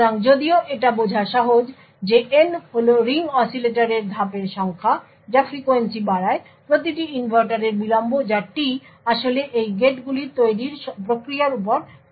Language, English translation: Bengali, So, while it is easy to understand that n that is the number of stages in ring oscillator upends the frequency, the delay of each inverter that is t actually depends upon the fabrication process of these gates